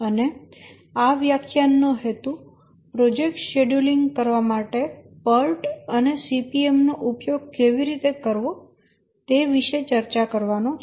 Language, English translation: Gujarati, And the focus of this lecture is to discuss about how to use POTCPM for project scheduling